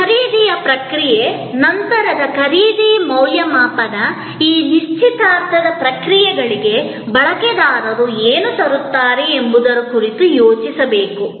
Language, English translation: Kannada, The process of purchase, the post purchase evaluation, all must be thought of in terms of what the user brings to this engagement processes